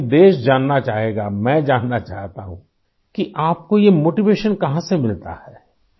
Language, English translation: Urdu, But the country would like to know, I want to know where do you get this motivation from